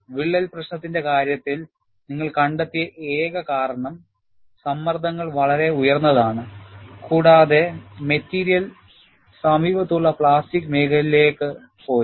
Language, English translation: Malayalam, In the case of a crack problem, what you find is, because of singularity, the stresses are very high and the material has gone to the plastic zone, in the near vicinity